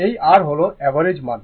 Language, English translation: Bengali, This is your average value